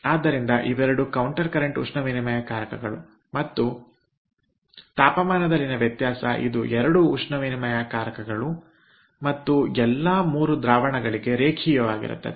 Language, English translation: Kannada, so both of them are counter current heat exchangers, ok, and the temperature change that is linear in ah, both the heat exchangers and for all the three fluids